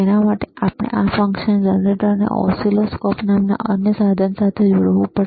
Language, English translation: Gujarati, So, fFor that we have to connect this function generator to the another equipment called oscilloscope